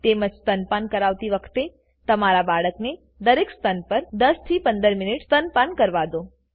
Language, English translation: Gujarati, Also, if youre breastfeeding, give your baby the chance to nurse about 10 15 minutes at each breast